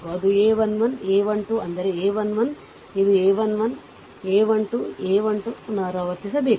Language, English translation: Kannada, That is a 1 1, a 1 2, that is a 1 1, this is a 1 1, a 1 2, a 1 3 repeat